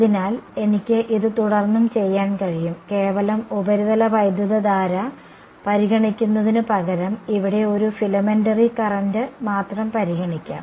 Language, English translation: Malayalam, So, I can further do this I can say instead of considering the pure surface current let me con consider just a filamentary current over here right